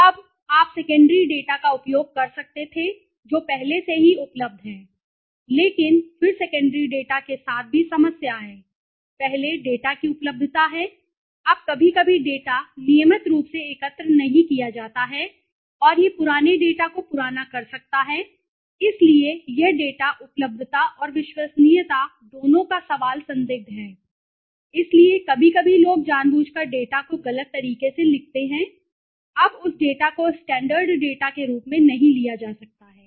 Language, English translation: Hindi, Now, you could have used the secondary data which is already available but then there is also problem with the secondary data, first is the availability of the data, now sometimes the data is not collected regularly and it might aged old data, so this data the question of is availability and reliability both is questionable okay, so sometimes people purposely miswritten the data also, now that data cannot be taken as a standard data